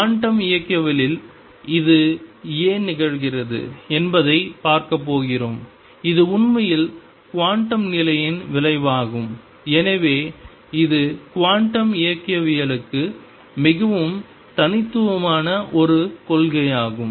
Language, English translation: Tamil, And that is what we are going to see why it happens in quantum mechanics it actually is a result of the quantum condition and therefore, this is a principle which is very unique to quantum mechanics